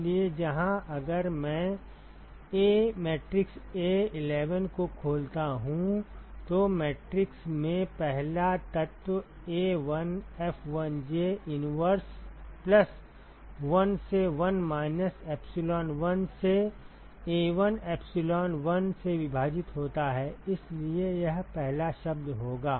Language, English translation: Hindi, So, where if I open up the A matrix a11 the first element in the matrix will be sum over all j 1 by A1F1j inverse plus 1 by 1 minus epsilon1 divided by A1 epsilon1 so that will be the first term